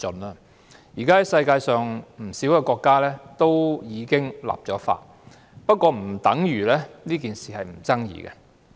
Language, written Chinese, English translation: Cantonese, 現時世界上已有不少國家立法，但不等於這事沒有爭議性。, Nowadays many countries in the world have already enacted relevant legislation but it does not mean that this matter is not controversial